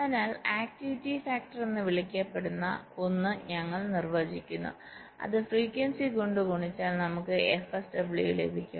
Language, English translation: Malayalam, so we define something called an activity factor which if we multiplied by the frequency we get f sw